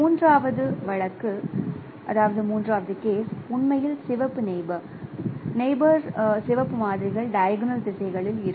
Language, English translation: Tamil, And the other, the third case would be where actually the red neighbors, the neighboring red samples are in the diagonal directions